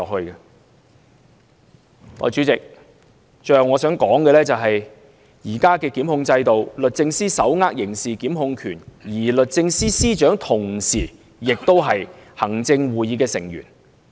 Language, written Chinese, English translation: Cantonese, 代理主席，最後我想說的是，在現行檢控制度下，律政司手握刑事檢控權，而律政司司長同時也是行政會議成員。, Deputy President finally I would like to say that under the present prosecutorial system DoJ is entitled to criminal prosecutions while its head the Secretary for Justice is concurrently a member of the Executive Council